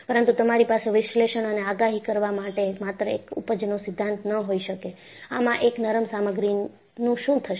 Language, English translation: Gujarati, But, you could not have just one yield theory to analyze and predict, what would happen to a ductile material